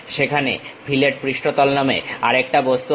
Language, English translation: Bengali, There is one more object named fillet surface